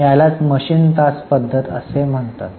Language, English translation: Marathi, This is known as machine hour method